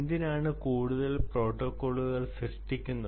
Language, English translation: Malayalam, that is the reason why these protocols are required